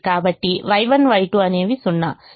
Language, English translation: Telugu, so y one y two are zero